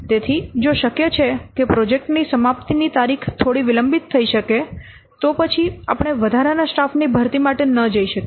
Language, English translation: Gujarati, So, if it is possible that the projects completion date can be delayed a little bit, then we may not go for this word hiring additional staff